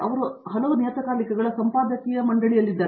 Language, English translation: Kannada, He is also in the editorial board of several journals